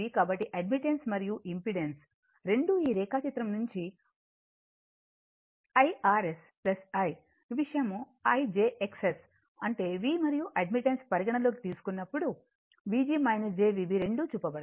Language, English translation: Telugu, So, both admittance and both impedance this figure diagram when you call IR S plus Ithis thing jIX S right that is V and when you when you consider admittance it will V g minus jV b both have been shown right